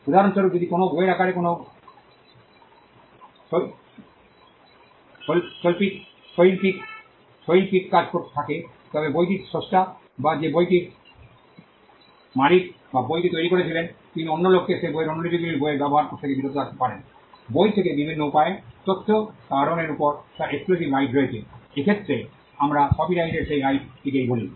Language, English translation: Bengali, For instance, if there is an artistic work in the form of a book, then the creator of the book or the person who owns the book or who created the book could stop other people from using that book from making copies of that book from disseminating information from the book by different ways, because he has an exclusive right over it, in this case we call that right of copyright